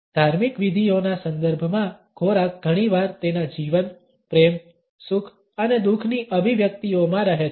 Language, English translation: Gujarati, Within ritual contexts, food often stands in its expressions of life, love, happiness and grief